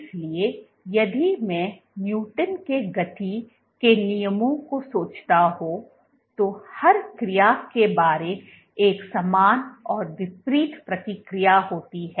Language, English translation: Hindi, So, if I want to think of Newton’s laws of motion to every action there is an equal and opposite reaction